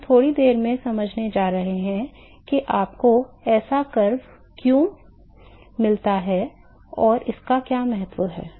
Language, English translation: Hindi, So, we are going to explain in a short while, I am going to explain what the why you get such a curve and what is the significance of this